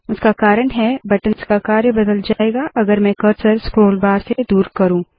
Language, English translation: Hindi, It is because, the role of the buttons will change if I move the cursor away from the scroll bar